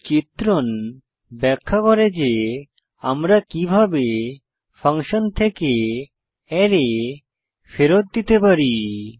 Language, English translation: Bengali, This illustration demonstrates how we can return an array from a function